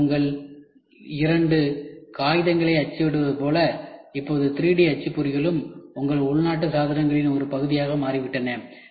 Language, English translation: Tamil, Today like your two printing of papers, now 3D printers have also become a part of your domestic appliances